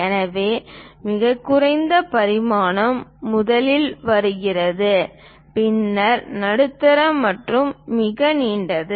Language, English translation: Tamil, So, lowest dimension first comes then followed by medium and longest one